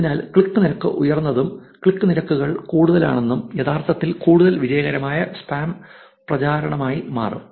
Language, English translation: Malayalam, So, that is why the click rate is high and as the click rates are higher, it will actually become more and more a successful spam campaign